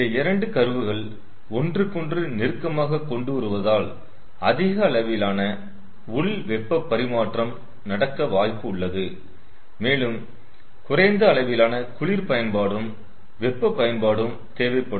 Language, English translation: Tamil, you see, if we try to bring these two curve close together, then more amount of internal heat exchange is possible and very less amount of um, cold utility and hot utility are needed